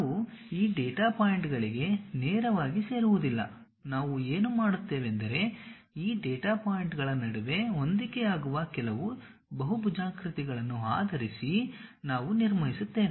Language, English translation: Kannada, We do not straight away join these data points, what we do is we construct based on certain, polygons fit in between these data points